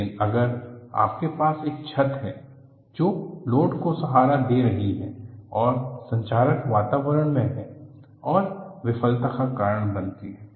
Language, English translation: Hindi, But if you have a roof, which is supporting load and also in corrosive environment that causes failure, we have to distinguish the difference between the two